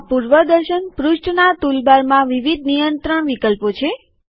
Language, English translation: Gujarati, There are various controls options in the tool bar of the preview page